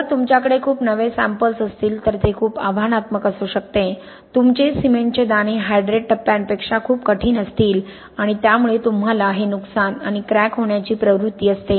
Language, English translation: Marathi, If you have very young samples it can be very challenging, your cement grains will be much harder than the hydrate phases and so you tend to get this damage, this cracking